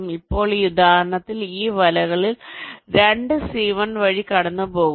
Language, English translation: Malayalam, now, in this example, two of this nets are passing through c one